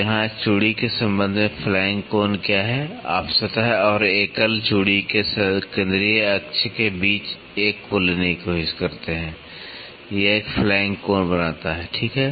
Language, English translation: Hindi, So, what is flank angle with respect to the thread here, you try to take one between the plane and the central axis of the single thread it makes a flank angle, ok